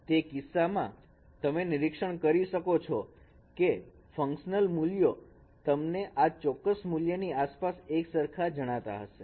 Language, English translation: Gujarati, In that case we could observe that up that the functional values would be no symmetric around around this particular value